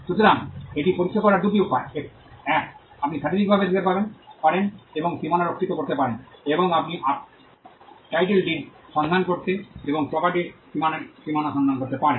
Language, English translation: Bengali, So, two ways to check it; one, you could look physically and check the boundaries, or you could look at the title deed and look for the boundaries of the property